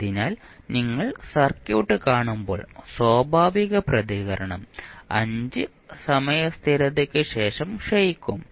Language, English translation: Malayalam, So, when you will see the circuit the natural response essentially dies out after 5 time constants